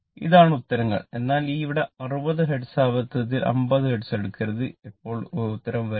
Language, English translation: Malayalam, These are the answers, but here frequency 60 hertz by mistake do not take 50 hertz then this answer will not come